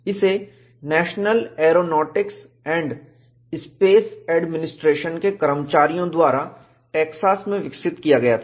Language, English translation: Hindi, This was developed by the staff of the National Aeronautics and Space Administration at Texas